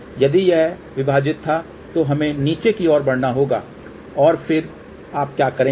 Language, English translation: Hindi, If it was minus, we have to move downward and then what you do